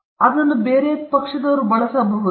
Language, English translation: Kannada, Can they be used by some other party